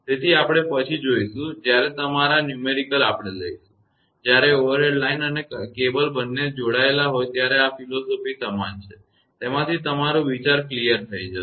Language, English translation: Gujarati, So, we will see later when your numerical we will take; when an overhead line and cable both are connected from that this philosophy will remain same; from that your idea will cleared